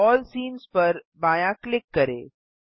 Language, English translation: Hindi, Left click All scenes